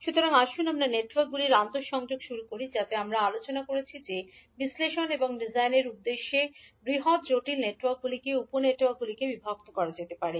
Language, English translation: Bengali, So, let us start the interconnection of the networks, so as we discussed that the large complex network can be divided into sub networks for the purposes of analysis and design